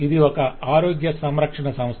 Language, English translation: Telugu, so this is like a health care organization